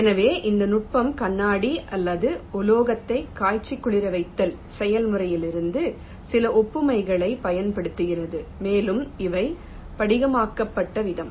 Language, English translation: Tamil, so it was a technique which was using some analogy from the process of annealing of glass or metals, the way they are crystallized